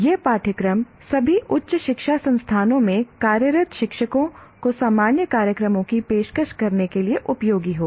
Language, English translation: Hindi, This course will be useful to working teachers in all higher education institutions offering general programs